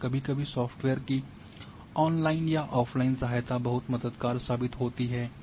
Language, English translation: Hindi, And sometimes online or offline helps of the software are very very helpful